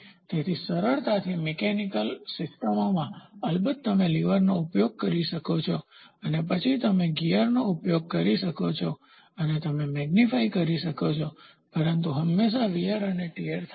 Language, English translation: Gujarati, So, easily in mechanical systems, of course, you can use the levers and then you can the gears and you can magnify, but there is always a wear and tear loss